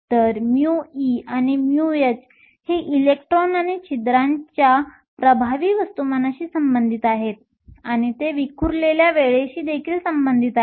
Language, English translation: Marathi, So, mu e and mu h are related to the effective mass of the electrons and holes, and they are also related to the scattering time